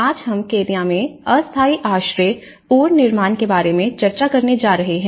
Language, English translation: Hindi, Today, we are going to discuss about temporary shelter reconstruction in Kenya